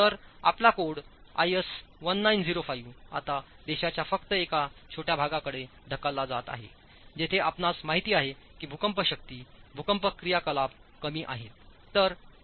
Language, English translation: Marathi, So, our code IS 1905 is now getting pushed to only a small part of the country, part of the country where you know that the earthquake force earthquake activity is low